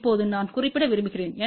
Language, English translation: Tamil, Now, I just want to mention